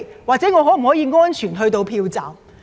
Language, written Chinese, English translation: Cantonese, 或者能否安全到達投票站？, Can they arrive at the polling stations safely?